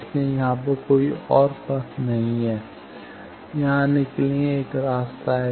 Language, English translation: Hindi, So, there are no other path only one path where coming from here to here